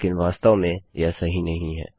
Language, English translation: Hindi, But in actual fact, thats not true